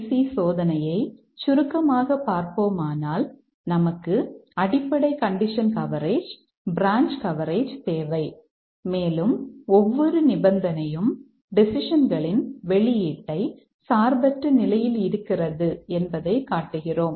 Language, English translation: Tamil, So, MCDC just to summarize, we require basic condition coverage, branch coverage and also show that every condition independently affects the decision's output